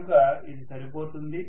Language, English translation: Telugu, So it is good enough, right